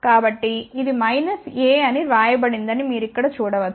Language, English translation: Telugu, So, you can see here it is written as minus a